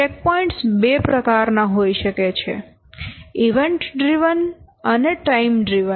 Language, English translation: Gujarati, So the checkpoints can be of two types, event driven and time driven